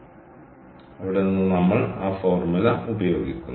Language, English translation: Malayalam, so ok, so we have to use this formula